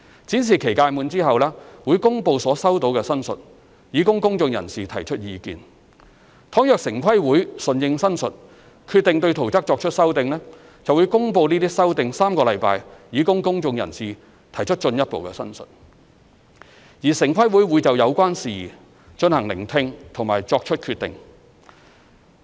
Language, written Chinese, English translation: Cantonese, 展示期屆滿後，會公布所收到的申述，以供公眾人士提出意見，倘若城規會順應申述，決定對圖則作出修訂，便會公布該修訂3星期，以供公眾人士提出進一步申述，而城規會會就有關事宜進行聆聽並作出決定。, After the expiry of the exhibition period the representations received will be published for public comments . If TPB decides to amend the plans having regard to the representations the amendment will be published for three weeks for further public representations . TPB will conduct hearings of the related issues and then make decisions